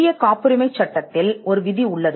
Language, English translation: Tamil, There is a provision in the Indian Patents Act